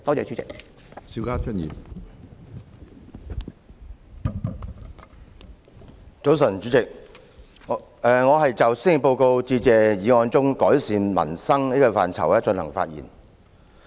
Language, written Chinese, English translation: Cantonese, 主席，早晨，我就施政報告致謝議案中"改善民生"的範疇發言。, Good morning President . I am speaking on the scope of Improving Peoples Livelihood in the Motion of Thanks for the Policy Address